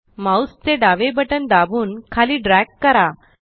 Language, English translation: Marathi, Press the left mouse button and drag it down